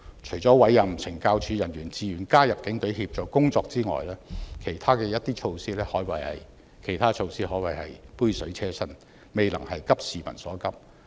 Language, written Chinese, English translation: Cantonese, 除了委任懲教署人員自願加入警隊協助工作之外，其他的措施可謂杯水車薪，未能急市民所急。, With the exception of recruiting officers from the Correctional Services Department to join the Police Force on a voluntary basis to provide supporting service all other measures are simply inadequate to meet the peoples pressing needs